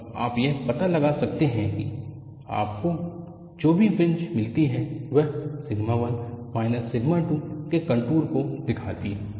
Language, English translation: Hindi, You can, from now on find out whatever the fringes you get, representcontours of sigma 1 minus sigma 2